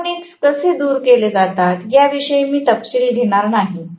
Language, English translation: Marathi, I am not going to get into the details of how the harmonics are eliminated